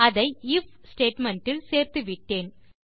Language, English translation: Tamil, Ive incorporated it into an IF statement